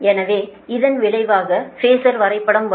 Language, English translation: Tamil, so this is the resultant phasor diagram